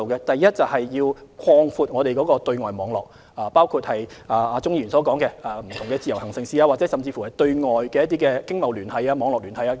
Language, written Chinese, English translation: Cantonese, 第一，擴闊本港的對外網絡，包括鍾議員所說的開放不同的自由行城市，甚至擴闊對外經貿網絡。, First extend the external network of Hong Kong including Mr CHUNGs suggestion of opening up different IVS cities or even widening our external business network